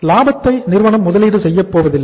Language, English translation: Tamil, Profit is not going to be invested by the firm